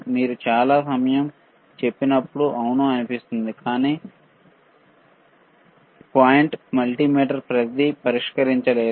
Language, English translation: Telugu, So, when you say lot of time yes it looks good, but the point is multimeter cannot solve everything